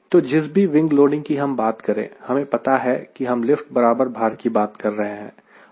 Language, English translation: Hindi, so whatever wing loading we talk about, we are clear back of our mind that we are talking about lift equal to weight